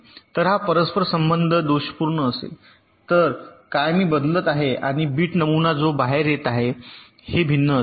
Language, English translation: Marathi, so if this interconnection was faulty, then what bit pattern i am in shifting in and the bit pattern that is coming out will be different